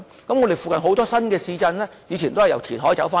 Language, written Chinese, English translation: Cantonese, 我們附近有很多新市鎮，以前都是由填海得來的。, Actually many of our nearby new towns were developed on reclaimed lands